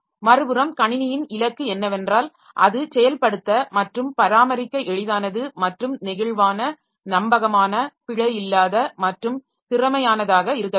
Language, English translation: Tamil, On the other hand, the system goal it should be easy to design, implement and maintain as well as flexible, reliable, error free and efficient